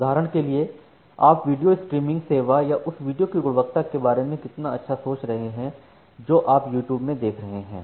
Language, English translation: Hindi, For example, how good you are thinking about the video streaming service or the quality of the video that you are observing in YouTube